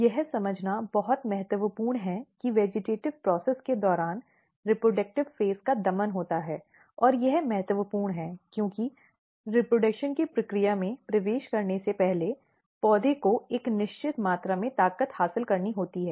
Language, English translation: Hindi, So, if you look it is very important to understand that during the vegetative process reproductive phases are repressed; and it is important because, plant has to gain a certain amount of strength before it enters in the process of reproduction